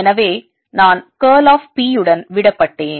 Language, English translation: Tamil, so i am left with curl of p